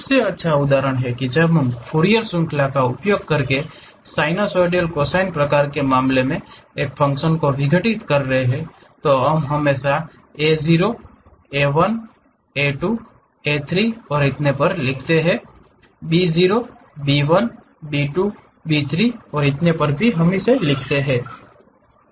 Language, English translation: Hindi, The best example is when we are decomposing a function in terms of sinusoidal cosine kind of thing by using Fourier series, we always write a0, a 1, a 2, a 3 and so on; b0, b 1, b 2, b 3 and so on so things